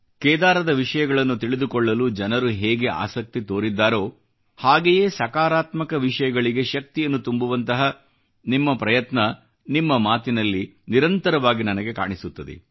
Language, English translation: Kannada, The way people have expressed their wish to know about Kedar, I feel a similar effort on your part to lay emphasis on positive things, which I get to know through your expressions